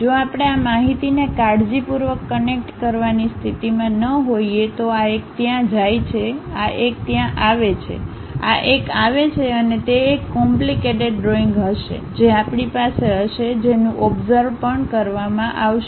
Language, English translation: Gujarati, If we are not in a position to carefully connect this information maybe this one goes there, this one comes there, this one comes and it will be a complicated picture we will be having which might be observed also